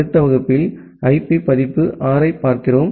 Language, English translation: Tamil, And in the next class, we look into IP version 6